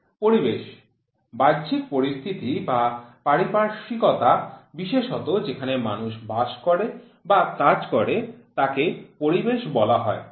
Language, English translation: Bengali, Environment: external conditions or surroundings especially those in which people live or work is called as environment